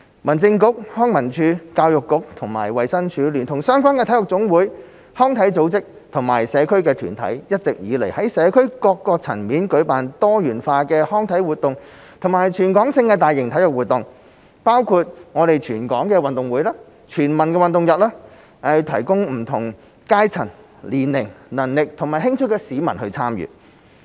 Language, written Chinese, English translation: Cantonese, 民政事務局、康樂及文化事務署、教育局與及衞生署，聯同相關的體育總會、康體組織和社區團體，一直以來在社會各層面舉辦多元化的康體活動及全港性的大型體育活動，包括全港運動會、全民運動日等，供不同階層、年齡、能力和興趣的市民參與。, The Home Affairs Bureau HAB the Leisure and Cultural Services Department LCSD the Education Bureau the Department of Health together with related NSAs recreation and sports organizations and community organizations have been working at all levels of society to organize diversified recreational and sports activities and territory - wide major sports events . These include the Hong Kong Games Sport for All Day etc . for participation by people of different classes age groups abilities and interests